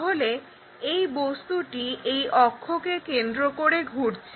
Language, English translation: Bengali, So, this revolving objects is about this axis